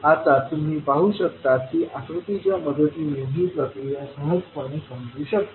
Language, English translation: Marathi, Now you can see that this procedure can be easily understood with the help of the figure